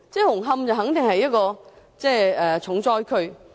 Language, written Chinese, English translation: Cantonese, 紅磡本身固然是一個重災區。, Hung Hom itself has certainly become a seriously affected district